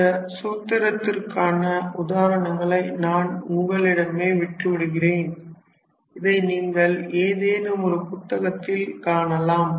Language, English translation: Tamil, So, I leave the examples for this direction formula up to the students you can look into any book